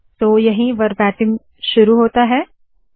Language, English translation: Hindi, So this is where the verbatim begins